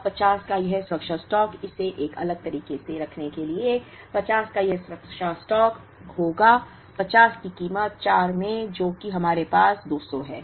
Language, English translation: Hindi, Now, this safety stock of 50 to put it in a different way this safety stock of 50 would incur, a cost of 50 into 4 which is 200 that we have